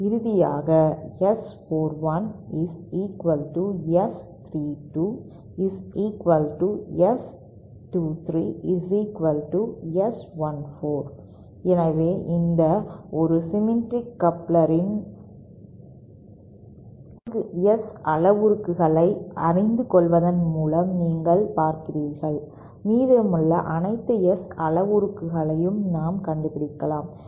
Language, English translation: Tamil, And finally S 41 is equal to S 32 which is equal to S 23 which is equal to S14, so you see just by knowing these 4 S parameters of a symmetric of a symmetric coupler, we can find out all the remaining S parameters